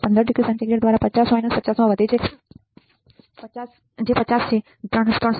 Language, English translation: Gujarati, 15 by degree centigrade into 50 minus 50 which is 50 which is equals to 3